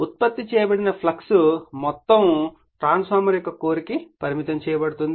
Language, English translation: Telugu, All the flux produced is confined to the core of the transformer